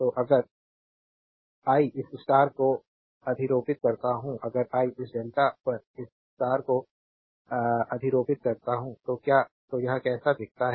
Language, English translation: Hindi, So, if I superimpose this star if I superimpose this star on this delta, then how it looks like